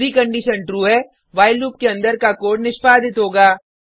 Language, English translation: Hindi, If the condition is true, the code within the while loop will get executed